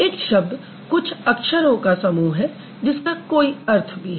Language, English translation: Hindi, A word is a combination of a few laters which has some meaning